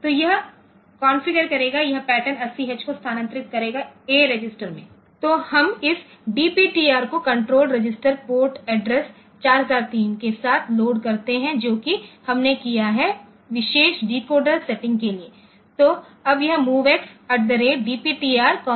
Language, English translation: Hindi, So, this will configured this will move the pattern 8 0 2 this a register then we load this DPTR with the control register address control register port address 4003 for the particular decoder setting that we have done; so, now, this MOVX at the rate DPTR comma A